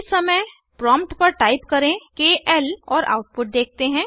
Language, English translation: Hindi, This time at the prompt type KL and see the output